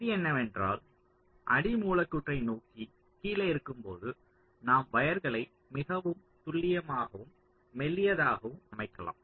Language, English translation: Tamil, so the rule is that when you are lower towards the substrate, we can lay the wires much more accurately and thinner